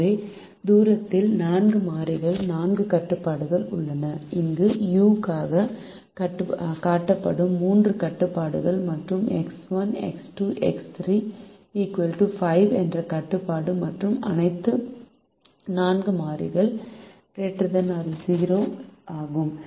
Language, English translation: Tamil, so the formulation has four variables, four constrained: the three constrained that are shown here for u and the constraint x, one plus x, two plus x three, equal to five, and then all the four variables are greater than or equal to zero